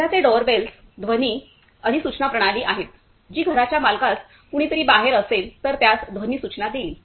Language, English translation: Marathi, The present day doorbells are sound notification system which will give a sound notification to the owner of the house if somebody is outside